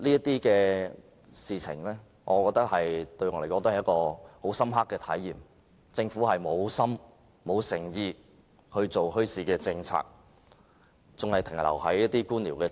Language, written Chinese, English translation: Cantonese, 這些事情給我一種深刻的體驗，就是政府沒有心、沒有誠意推動墟市政策，當局仍停留在官僚主義。, These experiences gave us a strong feeling that the Government has no intention or commitment in taking forward its policy on bazaars and the authorities are still maintaining a bureaucratic mindset